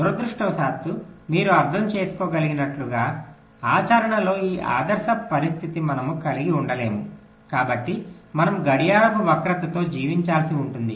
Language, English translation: Telugu, but unfortunately, as you can understand, we cannot have this ideal situation in practice, so we will have to live with clock skew